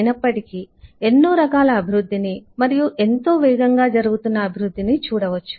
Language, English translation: Telugu, of course we see a lot of developments happening, very fast developments